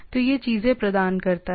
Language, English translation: Hindi, So, it provides the things